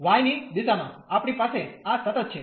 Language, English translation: Gujarati, In the direction of y, we have this constant